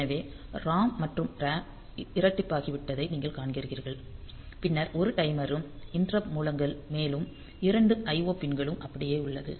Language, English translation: Tamil, So, you see the ROM and RAM have been doubled then timer is also 1 more interrupts sources are also 2 more IO pin remains same